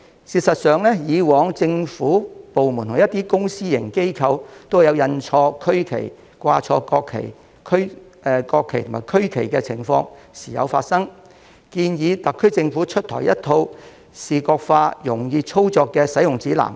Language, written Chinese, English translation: Cantonese, 事實上，以往政府部門和一些公私營機構都曾印錯區旗，掛錯國旗和區旗的情況亦時有發生，我建議特區政府就此推出一套視覺化、容易操作的使用指南。, As a matter of fact there were previous cases in which government departments as well as some public and private organizations had had the regional flag printed wrongly and there were also frequent cases of flying the national flag and regional flag incorrectly . I suggest that the SAR Government should develop a visual - based and easy - to - use guide book for this purpose